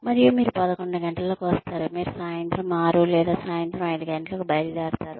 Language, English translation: Telugu, And you say, you come at eleven, you leave at, six in the evening, or five in the evening